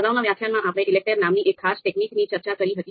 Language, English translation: Gujarati, So in previous few lectures, we have been discussing this particular specific technique called ELECTRE